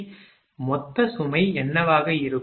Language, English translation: Tamil, So, what will be the then total load